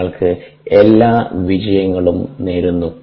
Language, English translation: Malayalam, wish you the very best and all success